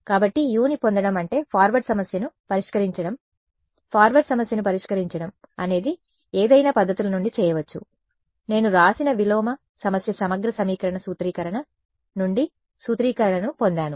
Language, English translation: Telugu, So, getting u is what solving the forward problem solving the forward problem could be done from any of the methods, the inverse problem I have written I got the formulation from the integral equation formulation